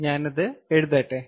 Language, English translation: Malayalam, let me write it down